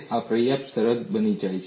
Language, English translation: Gujarati, This becomes a sufficient condition